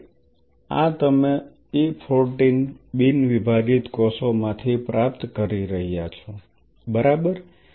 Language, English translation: Gujarati, So, these ones you are achieving from the E 14 right non dividing cells